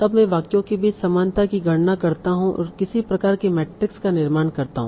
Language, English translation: Hindi, Then I compute the similarity between sentencing and I construct some sort of a matrix